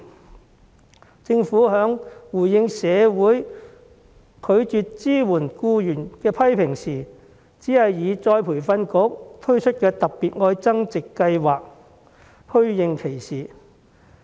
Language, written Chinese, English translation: Cantonese, 面對缺乏僱員支援的批評，政府的回應只是透過僱員再培訓局推出的"特別.愛增值"計劃虛應其事。, In response to criticisms over the lack of support for employees the Government only muddled through with the Love Upgrading Special Scheme the Scheme under the Employees Retraining Board